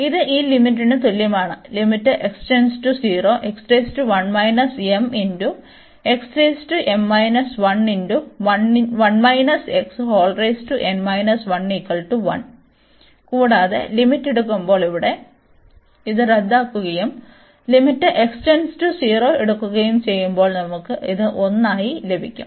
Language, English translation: Malayalam, And when taking the limits, so here this is cancel out and when taking the limit x approaching to 0, so we will get this as 1